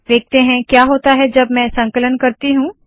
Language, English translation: Hindi, Lets see what happens when I compile it